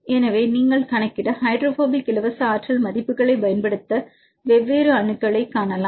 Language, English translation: Tamil, So, you can see different atoms you can use these values to calculate the hydrophobic free energy